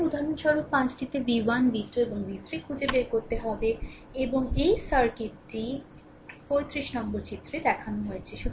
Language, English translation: Bengali, So, as example 5 you have to find out v 1, v 2, and v 3, and i of this circuit shown in figure 35